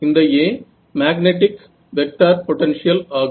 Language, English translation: Tamil, No, this A is the magnetic vector potential